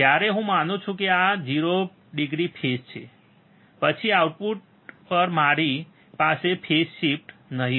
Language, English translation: Gujarati, When I assume that this is a 0 degree phase, then at the output I will have no phase shift